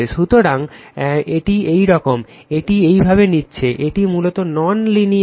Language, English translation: Bengali, So, it is like this, it is taking like this right so, this is basically your non linear path right